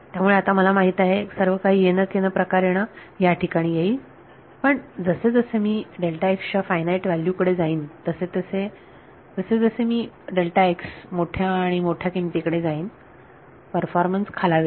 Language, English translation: Marathi, So, I know that everything should somehow land up over here, but as I go to finite values of delta x as I go to larger and larger values of delta x what happens is the performance begins to degrade